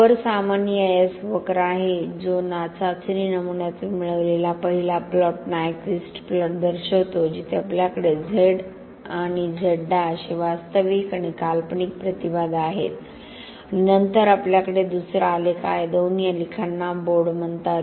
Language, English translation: Marathi, This is the typical EIS curve that is obtained from the test specimen first plot shows the Nyquist plot where we have Zí and Zíí these are real and imaginary impedance and then we have second graph the two graphs both of them together called as board A plot